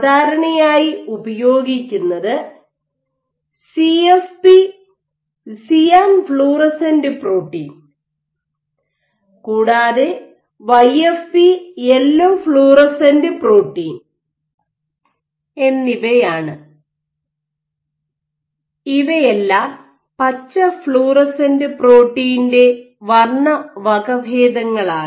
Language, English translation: Malayalam, Generally, what is commonly used is CFP and YFP these are all variants these are color variants of green fluorescent protein